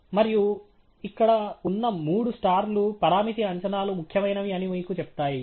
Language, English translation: Telugu, And the three stars here are kind of telling you that the parameter estimates are significant